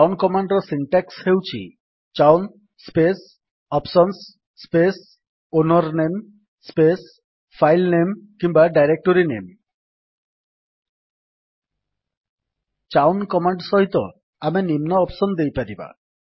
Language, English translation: Odia, The syntax of chown command is chown space options space ownername space filename or directoryname We may give following options with chown command